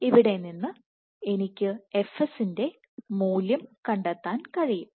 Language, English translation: Malayalam, So, from here I can find out the value of fs